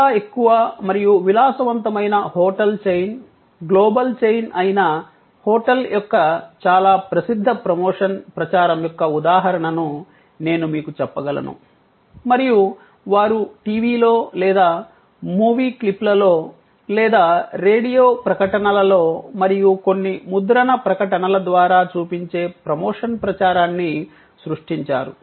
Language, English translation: Telugu, I can tell you the example of a very famous promotion campaign of a hotel, which is a very high and luxury hotel chain, global chain and they created a promotion campaign which showed on TV or in movie clips or through radio ads and some print ads